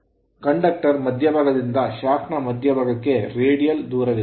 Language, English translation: Kannada, Therefore there is the radial distance from the centre of the conductor to the centre of the shaft